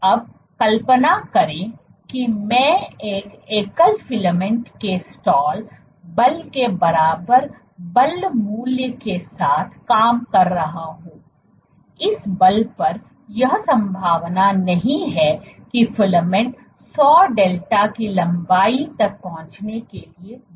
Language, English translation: Hindi, Now imagine I am operating with a force value equal to the stall force of a single filament, at this force it is unlikely that the filament will grow to reach a length of 100 delta ok